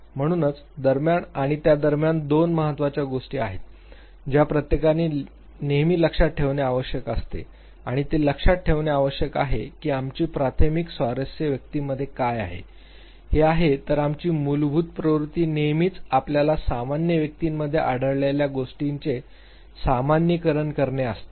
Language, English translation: Marathi, So, between and within are two important things that one always has to look at and remember one thing that our primary interest lies what goes with in the individual whereas our basic tendency is to always generalize what have we have found in various individuals, those who become parts of our sample